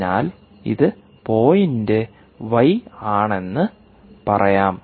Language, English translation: Malayalam, ok, so that is point y